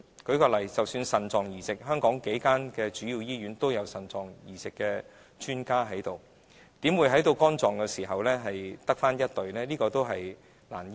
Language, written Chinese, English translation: Cantonese, 舉例而言，香港數間主要醫院均有腎臟移植的專家，那為何在肝臟移植方面只有1隊醫療人員呢？, For instance when there are kidney transplant experts in a few major hospitals in Hong Kong why is there only one medical team in respect of liver transplantation?